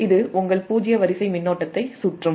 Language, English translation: Tamil, that means this zero sequence current can flow